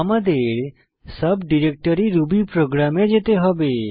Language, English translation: Bengali, We need to go to the subdirectory rubyprogram